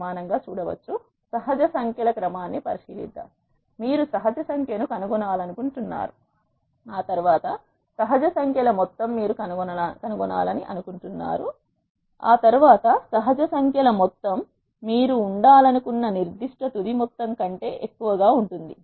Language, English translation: Telugu, Let us consider a sequence of natural numbers; you want to find a natural number n after which the sum of the natural numbers n is greater than certain final sum you wanted to be